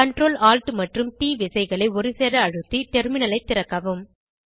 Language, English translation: Tamil, Open a terminal by pressing the Ctrl, Alt and T keys simultaneously